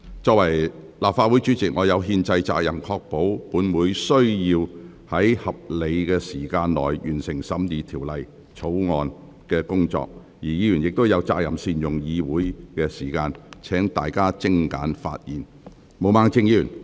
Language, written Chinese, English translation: Cantonese, 作為立法會主席，我有憲制責任確保本會在合理時間內完成審議《條例草案》的工作，而議員亦有責任善用議會時間，請大家精簡發言。, As the President of the Legislative Council I have the constitutional responsibility to ensure that this Council completes the scrutiny of the Bill within a reasonable time while Members also have the responsibility to make good use of the Councils time . Will Members please speak concisely . Ms Claudia MO please speak